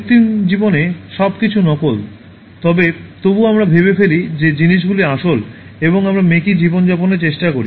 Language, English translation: Bengali, In an artificial life, everything is fake but still we pretend that things are real, and we try to live a false life